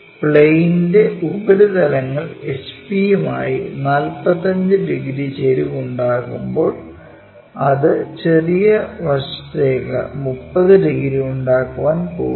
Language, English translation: Malayalam, While the surfaces of the plane makes 45 degrees inclination with the HP, it is going to make 30 degrees for the small side